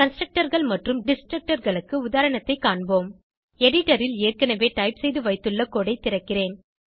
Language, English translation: Tamil, Let us see an example on Constructors and Destructors, I have already typed the code on the editor, I will open it